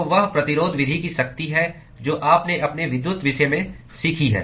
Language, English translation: Hindi, So, that is the power of the resistance method that you have learnt in your electricity subject